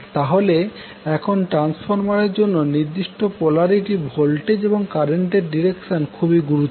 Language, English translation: Bengali, So now it is important to get the proper polarity of the voltages and directions of the currents for the transformer